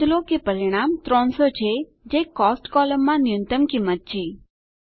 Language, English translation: Gujarati, Note, that the result is 300 which is the minimum amount in the Cost column